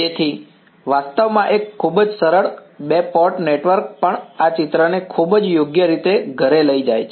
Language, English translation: Gujarati, So, actually a very simple two port network also drives home this picture very well right